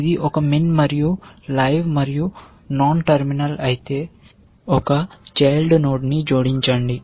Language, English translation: Telugu, If it is a min and live and non terminal then, add one child